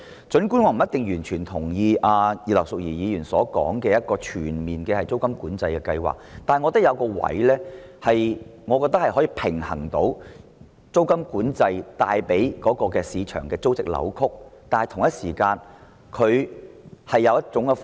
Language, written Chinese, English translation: Cantonese, 儘管我未必完全贊同葉劉淑儀議員提出的全面租金管制計劃，但我認為有一種方法既可平衡租金管制令市場出現的租值扭曲，同時亦可解決租住問題。, Though I may not fully agree with the comprehensive rental control proposed by Mrs Regina IP I consider that there is a way to adjust the rental distortion in the market arising from rental control while solving the rental problems at the same time